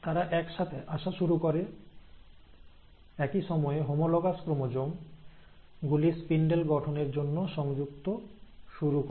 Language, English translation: Bengali, They they start coming together, at the same time, they also, the homologous chromosomes start attaching themselves to the spindle formation